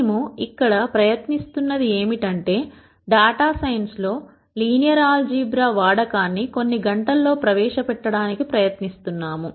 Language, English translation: Telugu, What we are trying to do here is we are trying to introduce the use of linear algebra in data science in a few hours